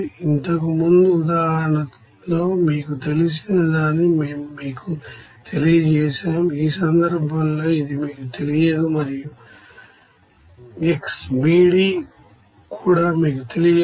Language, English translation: Telugu, Whereas in the previous example we have given that is known to you, in this case it is unknown to you and also xB,D is also unknown to you